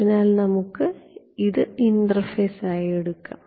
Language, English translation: Malayalam, So, let us take this as the interface ok